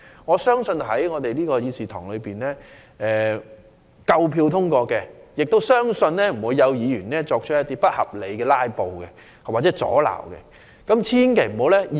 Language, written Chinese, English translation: Cantonese, 我相信有關立法建議在議事堂內會獲得足夠票數通過，也相信不會有議員不合理地"拉布"作出阻撓。, I believe the relevant legislative proposal can be passed in the Chamber with sufficient votes and I do not believe that any Member will be so unreasonable to put up hindrance by filibustering